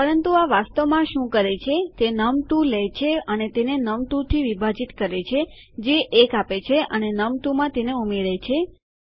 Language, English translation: Gujarati, But actually what this does is it takes num2 and divides it by num2 which will give 1 and add num1 to that